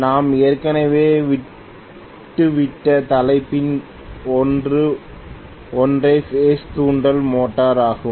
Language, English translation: Tamil, One of the topics we have left over already is single phase induction motor